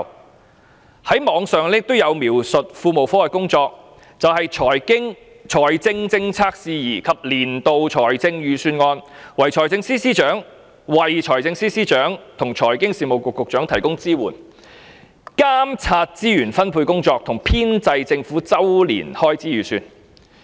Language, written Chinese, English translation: Cantonese, 在互聯網上也有描述庫務科的工作，便是"就財政政策事宜及年度財政預算案為財政司司長與財經事務及庫務局局長提供支援；監察資源分配工作及編製政府周年開支預算"。, On the Internet we can also find the work description of the Treasury Branch that it supports the Financial Secretary and the Secretary for Financial Services and the Treasury on matters of fiscal policy and the annual Budget; oversees the Resource Allocation Exercise and the compilation of the Governments annual estimates of expenditure